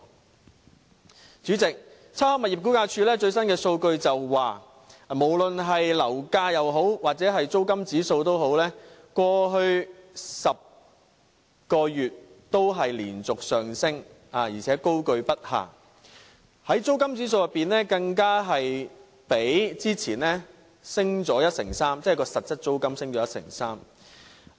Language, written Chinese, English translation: Cantonese, 代理主席，差餉物業估價署的最新數據顯示，不論樓價或租金指數，在過去10個月也連續上升，高踞不下，租金指數即實質租金更較之前上升 13%。, Deputy President latest figures from the Rating and Valuation Department indicate continuous rises in both indices of property prices or rentals in the previous 10 months . While the indices remain sky - high rental figures reflect an 13 % increase in actual rental payments